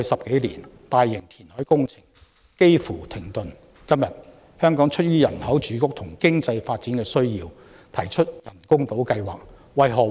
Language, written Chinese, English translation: Cantonese, 今天，香港特區政府出於人口住屋和經濟發展需要而提出人工島計劃。, Today the HKSAR Government has proposed an artificial island project out of the need for housing and economic development